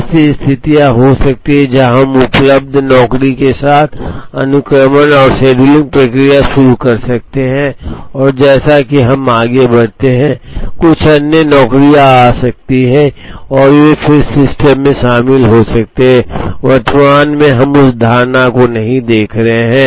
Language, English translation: Hindi, There could be situations where, we might start the sequencing and scheduling process with the available jobs and as we move along some other jobs may arrive and then they may join the system, at present we are not looking at that assumption